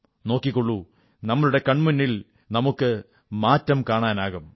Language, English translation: Malayalam, You'll see, we will find change occurring in front of our own eyes